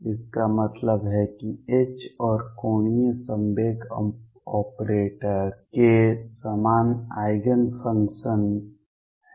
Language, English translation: Hindi, That means, that the H and angular momentum operator have common eigen functions